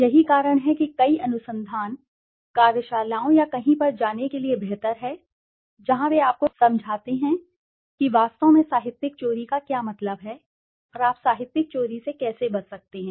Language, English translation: Hindi, That is why many, then it is better to go for some kind of research, workshops or somewhere where they explain you, what does actually plagiarism mean and how you can avoid plagiarism